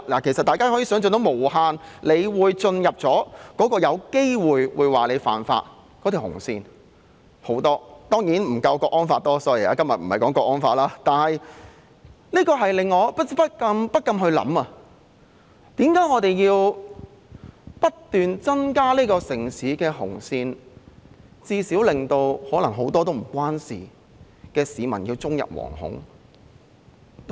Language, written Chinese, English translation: Cantonese, 其實大家可以想象到無限個有機會進入犯法紅線的情況——當然不夠港區國安法多，但今天不是討論港區國安法——這令我不禁思考，為何我們要不斷增加這個城市的紅線，令可能很多不太相關的市民終日惶恐？, We can actually imagine countless possible scenarios that people may cross the red line and violate the law―not as many as the Hong Kong national security law of course but we are not discussing the Hong Kong national security law today―I cannot help but wonder why do we have to draw more and more red lines in this city and make people live in fear day in and day out?